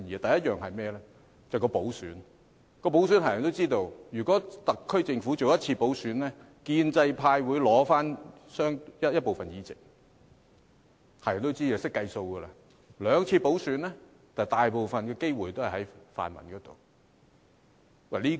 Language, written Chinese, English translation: Cantonese, 第一是補選，大家也知道，如果特區政府進行一次補選，建制派會取回部分議席，這是人所共知，大家也懂得計算。, One is about the by - election . We all know that the pro - establishment camp will be able to fill some vacancies if the SAR Government will only conduct one by - election . We are clear about this point as we can do the calculation